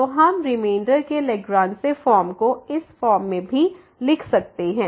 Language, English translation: Hindi, So, we can we write this Lagrange form of the remainder in this form as well